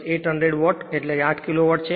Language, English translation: Gujarati, 712 plus 800 watt means 0